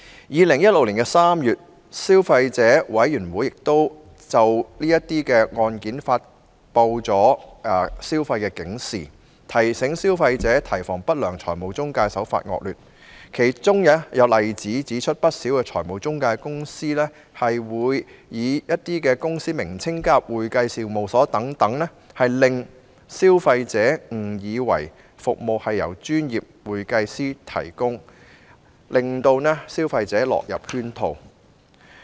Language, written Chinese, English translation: Cantonese, 2016年3月，消費者委員會曾就有關案件發出消費警示，提醒消費者提防不良財務中介的惡劣手法，而其中有例子顯示，不少財務中介公司在公司名稱中加入"會計事務所"等字眼，令消費者誤以為有關服務是由專業會計師提供，因而落入圈套。, In March 2016 the Consumer Council issued a consumer alert concerning the relevant cases to remind consumers to beware of the malpractices by unscrupulous financial intermediaries . An example of such malpractices shows that some financial intermediaries add the words accounting firms to their company names as a means to mislead consumers into believing that the relevant services are provided by professional accountants and lure them into their trap